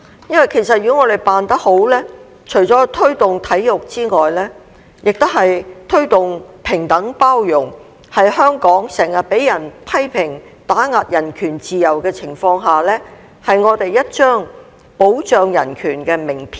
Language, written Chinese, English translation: Cantonese, 因為其實如果我們辦得好，除了推動體育之外，也是推動平等包容，在香港經常被批評打壓人權自由的情況下，是我們一張保障人權的名片。, If held successfully the event not only can promote sports but also equality and inclusion . At a time when Hong Kong is often criticized for suppressing human rights and freedom this will be our credential for the protection of human rights